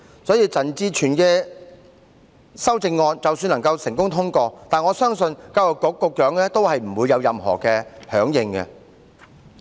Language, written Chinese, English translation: Cantonese, 所以，陳志全議員的修正案即使能夠成功通過，我相信教育局局長也不會有任何配合。, For this reason I believe that even if Mr CHAN Chi - chuens amendment is successfully passed the Secretary for Education will not cooperate